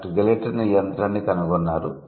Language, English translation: Telugu, Gilotin is the inventor of this machine